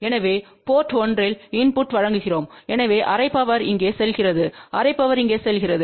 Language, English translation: Tamil, So, let us see what happens now so we are giving a input at port 1, so half power goes here half power goes here